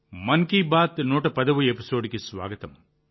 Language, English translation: Telugu, Welcome to the 110th episode of 'Mann Ki Baat'